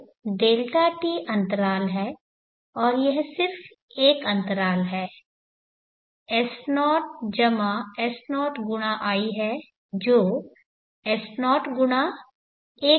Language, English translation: Hindi, t is the interval and it is just one interval s0+ s0 x i which is s0 x 1 + i